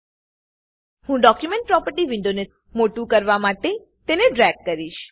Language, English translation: Gujarati, I will drag the Document Properties window to maximize it